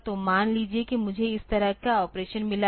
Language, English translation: Hindi, So, suppose I have got an operation like this